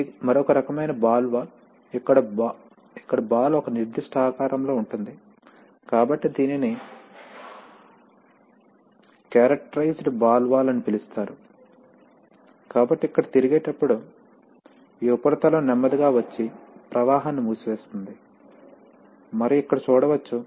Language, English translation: Telugu, This is another kind of ball valve, where the, where the ball is of a certain shape, so it is called a characterized ball valve, so here you can see that as again as it rotates, this surface slowly comes and closes the flow and therefore the flow, flow can be throttled or it can be completely shut off